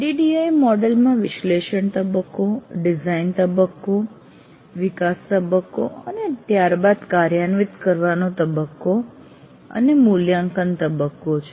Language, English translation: Gujarati, ADD model has analysis phase, design phase, development phase followed by implement phase and evaluate phase